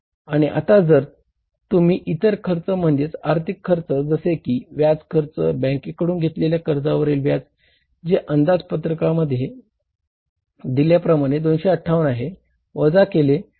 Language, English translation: Marathi, And from this now if you subtract the the other expense, that is the financial expense, you call it as the interest expense, interest on the borrowing from the bank, that was calculated as 258 which was given in the cash budget